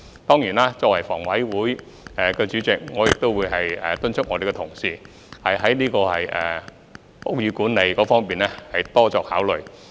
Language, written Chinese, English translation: Cantonese, 當然，作為房委會主席，我亦會敦促同事在屋宇管理方面作出相關考慮。, Of course as Chairman of HA I will urge colleagues to make relevant considerations in building management